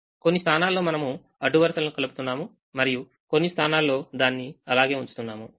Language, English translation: Telugu, some places we are adding in a row, some places we are keeping it as it is